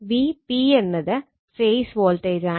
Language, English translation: Malayalam, And V p is equal to my phase voltage